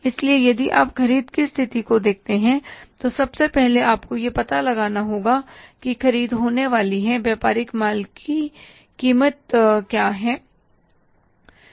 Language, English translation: Hindi, So, if you look at the purchase condition, first of all, you have to find out here is that purchases are going to be what is the cost of merchandise